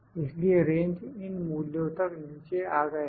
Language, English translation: Hindi, So, the ranges have come down to these values